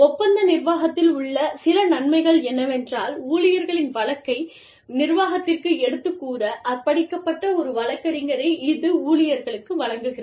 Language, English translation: Tamil, Some advantages of contract administration are, it provides the employee, with an advocate dedicated to, representing the employee's case, to the management